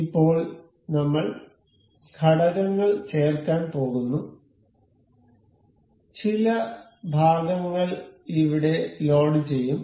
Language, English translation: Malayalam, So, now, we go to insert components, we will load some of the parts over here